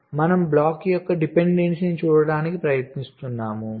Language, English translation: Telugu, so we are trying to look at the dependency of the block a